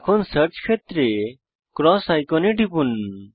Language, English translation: Bengali, Now, in the Search field, click the cross icon